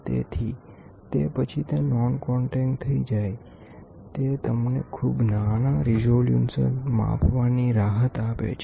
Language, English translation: Gujarati, So, once it is non contact then, it gives you a flexibility of measuring very small resolutions